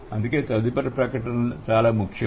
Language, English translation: Telugu, So, that is why the next statement is very important